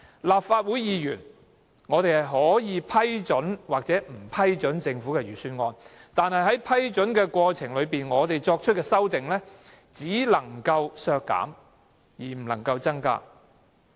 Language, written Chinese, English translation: Cantonese, 立法會議員可以批准或不批准政府的預算案，但在過程中，我們對預算案作出的修訂只能削減而不能增加開支。, Members of the Legislative Council may approve or disapprove the Government Budget . But in the process we can only ask for spending reduction but not expansion in the budgetary amendments we propose